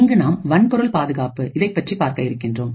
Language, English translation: Tamil, And we will actually look at something known as Hardware Security